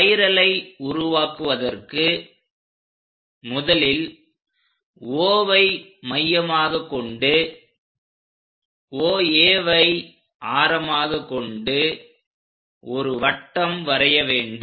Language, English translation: Tamil, The steps involved in constructing the spiral are with O as center and radius OA first of all, we have to draw a circle